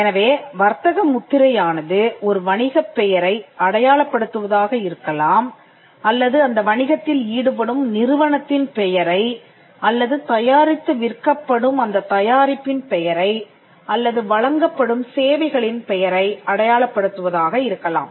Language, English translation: Tamil, So, a trademark can be something that identifies a business name, the entity that does the business a corporation or a organization, it could also mean a the product that is sold or the services that are offered